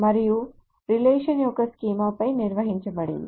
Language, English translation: Telugu, And the relation is defined over a schema